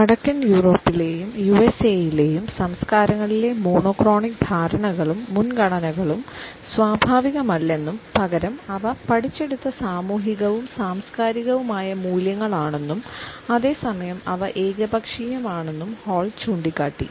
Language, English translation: Malayalam, Hall has also pointed out that the monochronic perceptions and preferences in the cultures of Northern Europe and the USA are not natural they are learnt social and cultural values and at the same time they happen to be arbitrary